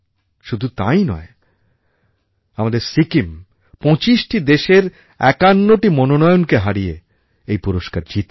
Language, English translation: Bengali, Not only this, our Sikkim outperformed 51 nominated policies of 25 countries to win this award